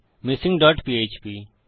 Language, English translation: Bengali, missing dot php